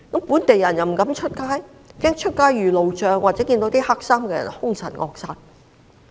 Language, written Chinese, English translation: Cantonese, 本地人不敢外出，怕出街遇路障或遇到黑衣人兇神惡煞。, Local residents dare not go out fearing running into road blocks and rancorous people clad in black